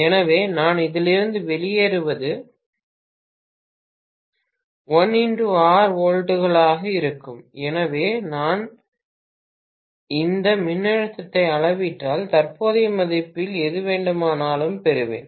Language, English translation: Tamil, So, what I am getting out of this will be 1 multiplied by R volts, so if I measure this voltage, divide that by the nonresistance I will get exactly whatever is the current value